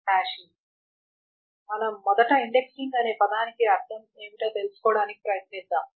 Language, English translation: Telugu, So we will first try to understand what does the word indexing mean